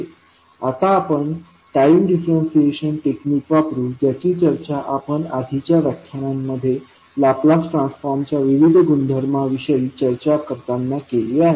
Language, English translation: Marathi, Now, we will use time differentiation technique which we discussed in the previous classes when we were discussing about the various properties of Laplace transform